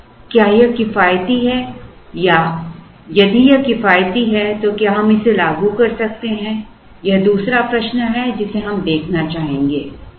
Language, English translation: Hindi, Now, is this economical or if it is economical, can we implement it is the other question that we would like to look at